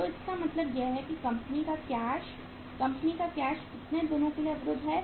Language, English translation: Hindi, So it means finally the company’s cash, company’s cash is blocked for how many days